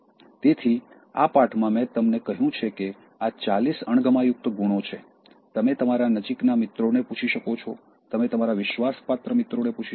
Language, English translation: Gujarati, So, in this lesson, I have been told that these are forty dislikable qualities, you can ask your close friends, you can ask your trusted friends